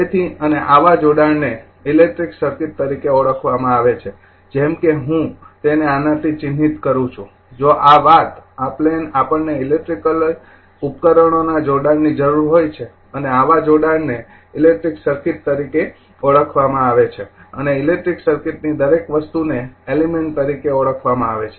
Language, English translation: Gujarati, So, and such interconnection is known as an as your as an electric circuit like if I mark it by this, if this thing this plain we require an interconnection of electrical devices and such interconnection is known as an electric circuit right and each component of the electric circuit is known as element